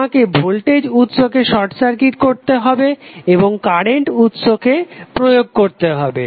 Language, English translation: Bengali, You have to simply short circuit the voltage source and apply the current source